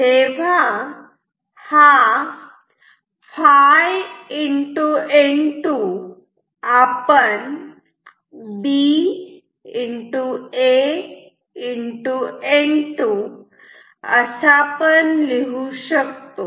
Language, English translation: Marathi, So, this is phi N 2 and this we can write as B A N 2